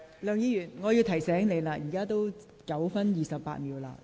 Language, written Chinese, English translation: Cantonese, 梁議員，我提醒你，你已發言9分28秒。, Mr LEUNG I would like to remind you that you have spoken for 9 minutes 28 seconds